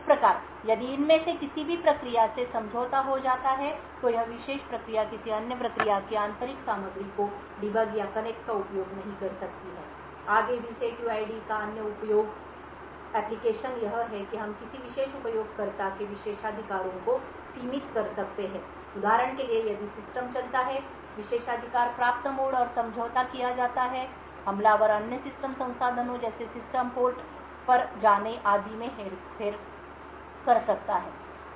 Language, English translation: Hindi, Thus if any of these processes gets compromised this particular process cannot debug or connect or use the internal contents of another process, further another useful application of setuid is that we could limit the privileges of a particular user, say for example if the system runs in privileged mode and is compromised, the attacker can manipulate other system resources like going to system ports etc